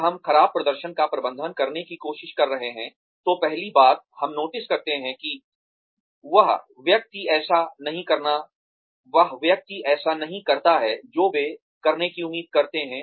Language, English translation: Hindi, When, we are trying to manage poor performance, the first thing, we notice is that, the person does not do, what they are expected to do